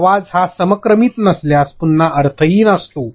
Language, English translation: Marathi, If you are audio is not sync, again it is meaningless ok